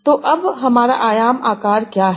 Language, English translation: Hindi, So, now what is my dimension size